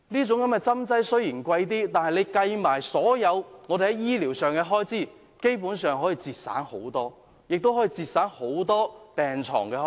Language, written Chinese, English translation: Cantonese, 雖然針劑較為昂貴，但計及所有醫療開支，其實可以節省很多金錢，亦可以節省很多病床的開支。, Although these medicines are more costly taking into account the cost of hospital treatment the high costs of inpatient services can be saved